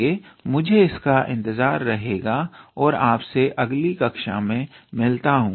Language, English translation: Hindi, So, I will look forward to it and see you in next class